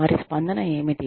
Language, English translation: Telugu, What is their reaction